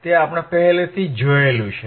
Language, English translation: Gujarati, And that is what we have seen right now